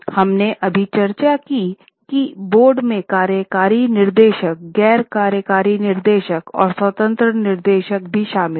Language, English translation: Hindi, We have just discussed that on the board you have got executive directors, non executive directors and there are also independent directors